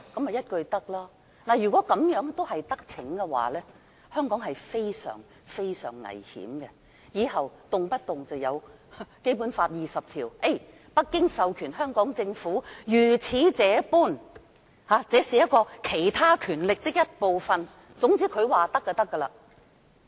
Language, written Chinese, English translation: Cantonese, 如果讓他得逞，香港將會非常危險，政府往後便可以動輒引用《基本法》第二十條，由北京政府授權香港政府如此這般，因為這是"其他權力"的一部分，總之他說可以便可以。, If he is allowed to do so Hong Kong will be in serious peril . In other words the Government may from now on arbitrarily invoke Article 20 of the Basic Law whereby the Beijing Government may authorize the Hong Kong Government to do this and that as it is part of other powers . In a word the Secretary for Justice can do anything he wants